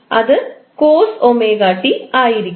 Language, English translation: Malayalam, It would be COS omega T